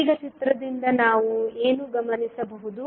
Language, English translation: Kannada, Now from the figure what we can observe